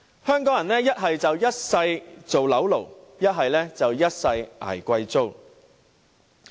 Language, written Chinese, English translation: Cantonese, 香港人要麼"一世當'樓奴'"，要麼"一世捱貴租"。, Hong Kong people have been turned into either mortgage slaves or victims of high rents for the rest of their lives